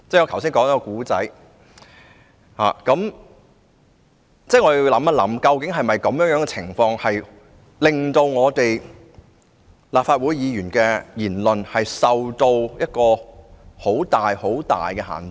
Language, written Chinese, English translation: Cantonese, 我們要想想，究竟這情況會否令立法會議員的言論受到很大限制？, The question we have to consider is Will the current situation greatly restrict the freedom of speech of Members of the Legislative Council?